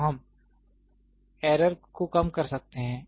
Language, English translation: Hindi, So, we can reduce the error